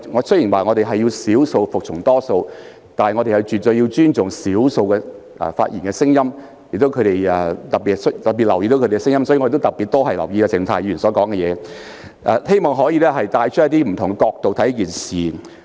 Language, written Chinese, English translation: Cantonese, 雖然我們強調少數服從多數，但也絕對需要尊重少數聲音，特別留意他們的意見，所以我也會特別留意鄭松泰議員的發言，希望可採用不同角度衡量事情。, Even though we stress that the majority rules we definitely need to respect the voices of the minority and will particularly pay heed to their views . Therefore I will also pay particular attention to Dr CHENG Chung - tais speeches and hope that a matter can be measured from different perspectives